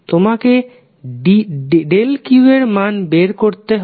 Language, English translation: Bengali, You need to find out the value of delta q